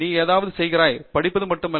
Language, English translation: Tamil, You are doing something; I mean not just reading and reading and reading